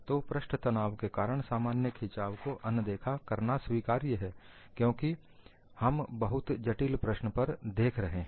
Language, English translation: Hindi, So, neglecting the normal traction due to surface tension is permissible, because we are looking at a very complex problem